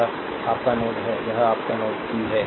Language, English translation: Hindi, This is your node ah this is your node p, right